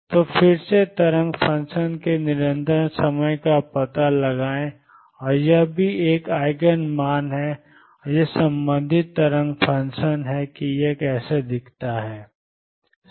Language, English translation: Hindi, So, again find the constant times the wave function and this is also therefore, an Eigen value and this is the corresponding wave function how does it look